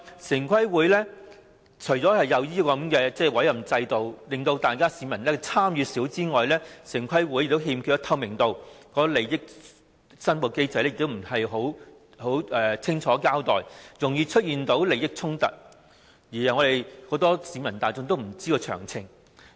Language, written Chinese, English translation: Cantonese, 此外，除了設有委任制度，令市民參與度偏低外，城規會更欠缺透明度，利益申報機制也不完善，容易出現利益衝突，而很多市民也不知道詳情。, Apart from having an appointment system with low public participation TPB also lacks transparency and its interest declaration mechanism is imperfect conflict of interests can thus arise easily and members of the public are not informed of the details